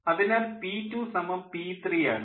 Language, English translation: Malayalam, so p two is equal to p three